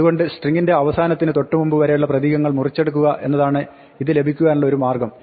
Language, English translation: Malayalam, So, one way to get is just to take slice of the string up to, but not including the last character